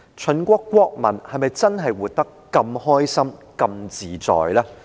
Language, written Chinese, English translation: Cantonese, 秦國國民又是否真的活得那麼開心和自在呢？, Were the people of the Qin state living happily and freely then?